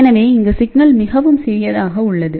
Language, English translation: Tamil, So, the signal is very small here most of the time